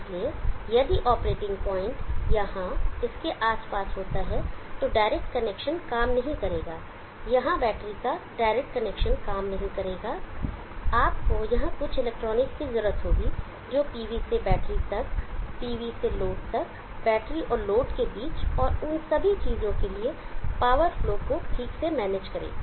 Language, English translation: Hindi, So if the operating point has to hold around here direct connection will not work, direct connection of the battery here will not work, you need to have some electronics here, which will properly manage the power flow from the PV to the battery, from the DV to the load between the battery and the load and all those things